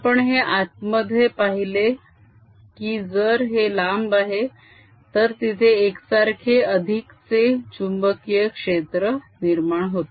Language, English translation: Marathi, we just saw that inside, if it is a long one, its going to be a uniform additional magnetic field